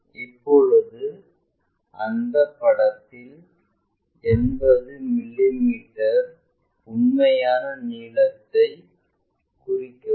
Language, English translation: Tamil, Now, locate 80 mm true length, 80 mm true length on that picture